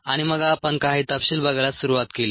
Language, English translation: Marathi, and then we started looking at some details